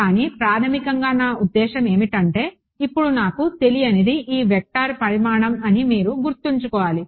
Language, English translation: Telugu, But basic I mean the idea you should keep in mind is if my unknown now is the magnitude of this vector